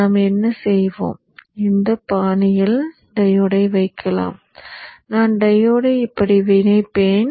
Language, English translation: Tamil, I'll connect the diode like this